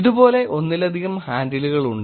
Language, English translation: Malayalam, There are multiple handles like this